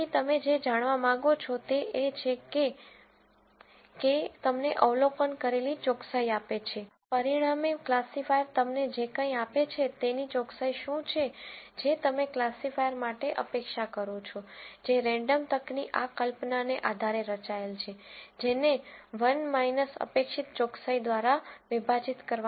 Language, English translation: Gujarati, So, what you want to know is this Kappa gives you the observed accuracy, whatever the classifier gives you as a result minus what accuracy, you would expect for a classifier, which is designed based on this notion of random chance, divided by 1 minus expected accuracy